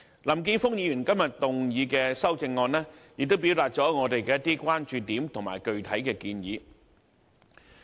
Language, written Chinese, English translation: Cantonese, 林健鋒議員今天提出的修正案，表達了我們的一些關注點和具體建議。, The amendment proposed by Mr Jeffrey LAM today underlines some of our major concerns and specific proposals